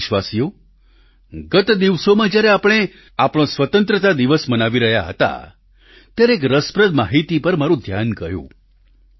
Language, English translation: Gujarati, Dear countrymen, a few weeks ago, while we were celebrating our Independence Day, an interesting news caught my attention